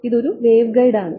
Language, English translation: Malayalam, It is a waveguide